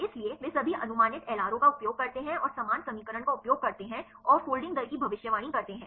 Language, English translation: Hindi, So, they use all the predicted LRO and use the same equation and to predict the folding rate